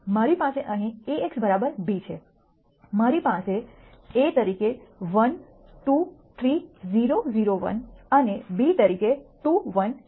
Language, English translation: Gujarati, I have an a x equal to b here, I have a as 1 2 3 0 0 1 and b as 2 1